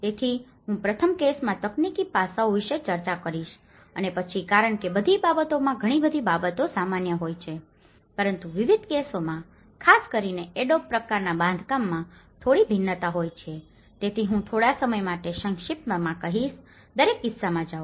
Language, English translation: Gujarati, So, I’ll discuss about the technological aspects in the first case and then in because many of the things are common in all the cases but there is a slight variance in different cases especially with the adobe type of construction, so I will just briefly go through each and every case